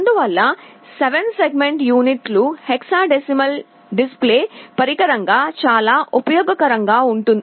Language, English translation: Telugu, Therefore, the 7 segment units are very useful as a hexadecimal display device